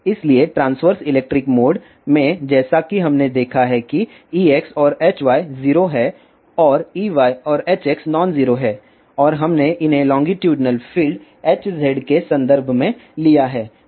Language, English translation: Hindi, So, intransverse electricmode as we have seen that E x and H y are 0 and E y and H x are nonzero and we have a derived this in terms of longitudinal field H z